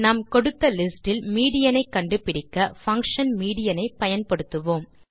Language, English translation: Tamil, To get the median we will simply use the function median